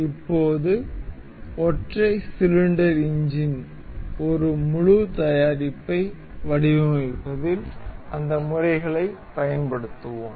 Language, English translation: Tamil, Now, we will apply those methods in designing one full product that is single cylinder engine